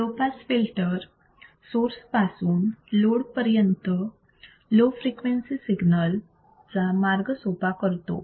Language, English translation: Marathi, Low pass filter allows for easy passage of low frequency signals from source to load